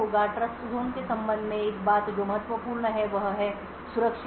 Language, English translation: Hindi, One thing that is critical with respect to a Trustzone is something known as secure boot